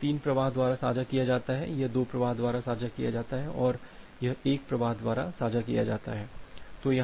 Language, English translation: Hindi, So, this is shared by 3 flows this is shared by 2 flows, this is shared by 2 flows and this is shared by one flow